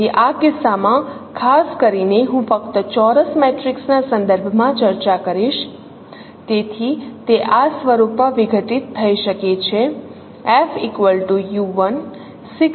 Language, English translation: Gujarati, So in this case particularly I will discuss with respect to square matrix only in this context